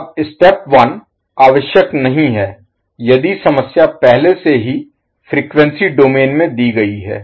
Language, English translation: Hindi, Now the step 1 is not necessary if the problem is already specified in frequency domain